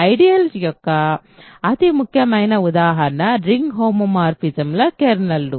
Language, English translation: Telugu, So, the most important examples of ideals are the kernels of ring homomorphisms ok